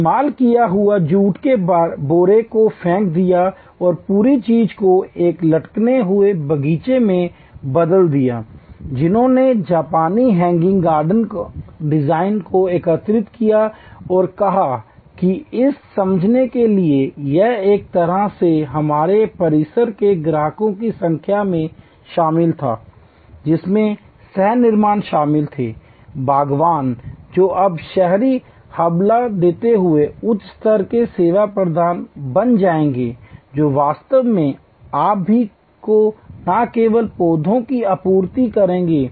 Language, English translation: Hindi, The used thrown away jute sacks and converted the whole thing in to a hanging garden, they adopted the Japanese hanging garden design integrated that with this and understand the this was done in a way involving the customer number of residents of our campuses co creator involving the gardeners who will become now a higher level service provider in an urban citing, who will actually supply you all the gardening not only the plants